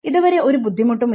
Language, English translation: Malayalam, So far there has not been any difficulty